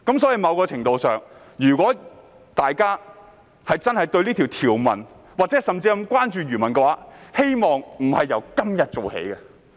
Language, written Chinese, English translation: Cantonese, 在某程度上，如果大家真的關注這項條文，甚至漁民，我希望不是由今天做起。, In some measure if Members are really concerned about this provision or even fishermen I hope they are not merely doing this today